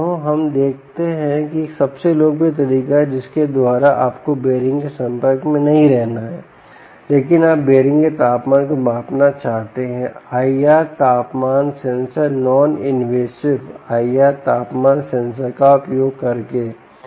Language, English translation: Hindi, let us look at, let us say, a most popular way by which you dont want to be in contact with the bearing but you want to measure ah, the temperature of the bearing could be using i r temperature sensors, non invasive i r temperature sensor